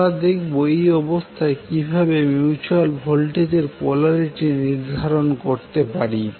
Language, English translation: Bengali, So now we can say that we know how to determine the polarity of the mutual voltage